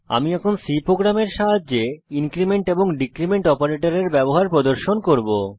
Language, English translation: Bengali, I will now demonstrate the use of increment and decrement operators with the help of a C program